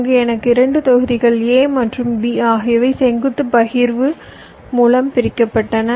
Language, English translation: Tamil, suppose i have a floorplan where i have two blocks, a and b, placed side by side, separated by a vertical partitions